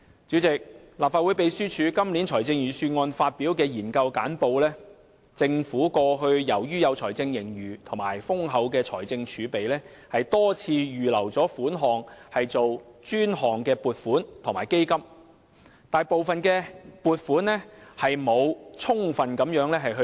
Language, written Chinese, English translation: Cantonese, 主席，立法會秘書處今年就預算案擬備研究簡報，當中指出，政府過去由於有財政盈餘及豐厚的財政儲備，多次預留款項作專項撥款及基金，卻沒有充分利用部分撥款。, President the Legislative Council Secretariat prepared a research brief on the Budget this year . It is pointed out in the research brief that owing to the budget surplus and hefty fiscal reserve the Government has time and again set aside money in the past for specific purposes and has established designated funds . However some of the funds have been under - utilized